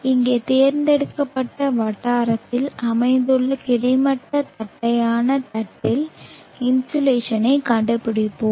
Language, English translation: Tamil, Let us now find the insulation on a horizontal flat plate located at the chosen locality here